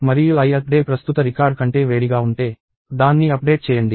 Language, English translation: Telugu, And if i th day is hotter than the current record, update it